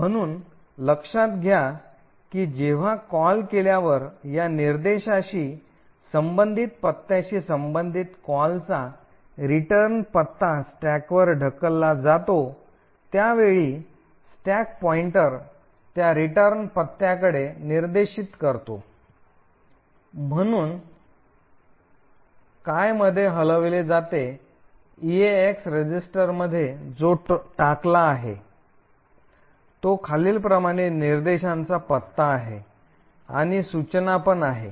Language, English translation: Marathi, So, note that when a call is done the return address for this call that is corresponding to the address corresponding to this instruction is pushed onto the stack and at that time the stack pointer is pointing to that return address, therefore what is moved into the EAX register is the address of the following instruction that is this instruction